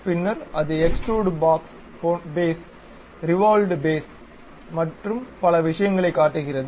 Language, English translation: Tamil, Then it shows something like extruded Boss Base, Revolved Base and many things